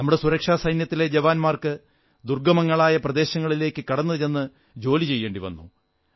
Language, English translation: Malayalam, Jawans from our security forces have to perform duties in difficult and remote areas